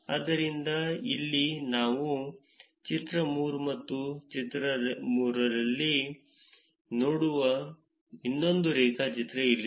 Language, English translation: Kannada, So, here is another graph which we will see in figure 3 and figure 3 for that we will see